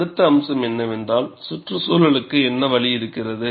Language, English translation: Tamil, And the next aspect is, in what way the environment has a role